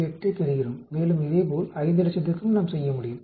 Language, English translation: Tamil, 028 and similarly we can do it for 500,000 also